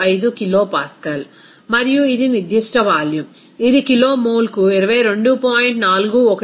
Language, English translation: Telugu, 325 kilopascal and this is specific volume that will be is equal to 22